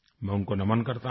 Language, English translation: Hindi, I salute him